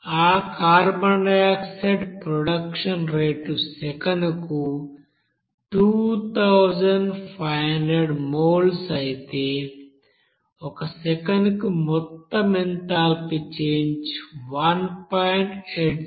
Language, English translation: Telugu, And if that carbon dioxide production rate is 2500 moles per second then total amount of enthalpy change per second that will be is equal to 1